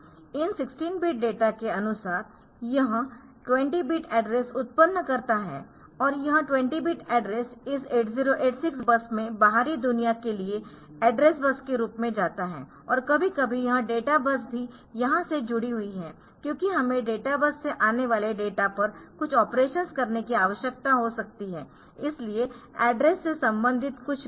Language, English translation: Hindi, So, they are put on to this address generation unit accordingly it generates a 20 bit address, from these to 16 bit data it generates a 20 bit address and this 20 bit address goes to this 8086 bus to the outside world as the address bus and sometimes we also need to connect to this data bus is also connected here because we may need to do some operations on the data that is coming from the data bus